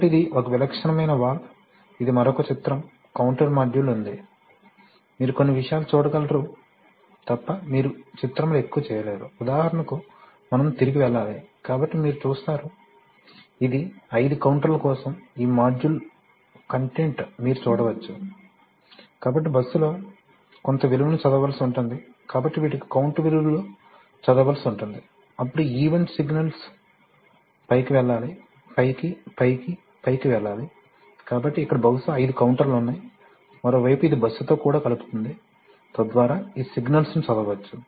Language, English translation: Telugu, So this is a typical valve, this is another picture a counter module, you cannot make out much on the picture except for the fact that you can see certain things, you know like for example, oops we need to go back, so you see, you can see that for example this is the, this module content for thing five counters, so you see the count value has to be read on the bus, so these have count values have to be read then event signals that is go, up, up, up, this thing has to come, so there are probably five counters here, on the other hand it also connects to the bus, so that these signals can be read, generally used for, so this, so the count is readable on the fly because it contains dual ported RAM and high speed count